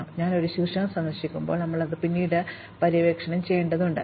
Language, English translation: Malayalam, Now, whenever we visit a vertex, we need to subsequently explore it